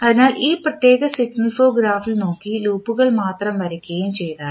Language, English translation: Malayalam, So, if you see in this particular signal flow graph and if you only draw the loops